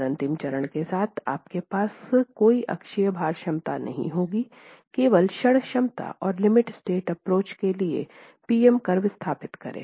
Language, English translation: Hindi, And then with the last stage you will have no axial load capacity, only moment capacity, and establish the PM curve for the limit state approach